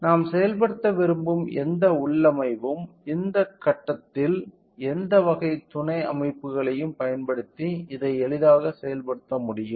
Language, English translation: Tamil, So, any configuration that we want to implement can be easily implemented using this using any type of subsystems at this point